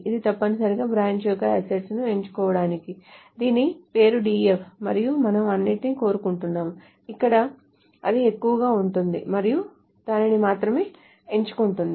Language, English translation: Telugu, So essentially these to select the assets of the branch whose name is DEF and we want everything else where that is greater and only selecting that